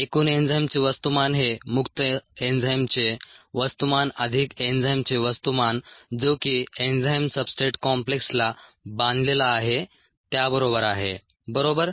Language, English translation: Marathi, the mass of the total enzyme is the mass of the free enzyme plus the mass of the enzyme that is bound to the enzyme substrate complex, right